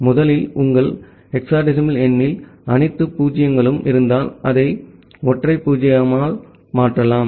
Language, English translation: Tamil, So, first of all if your hexadecimal number has all 0’s, then you can replace it by a single 0